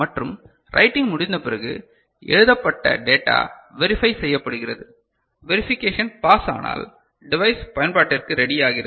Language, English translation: Tamil, And after writing a verification is done with that the data written is what was intended and if verification passes then the device becomes ready for the use ok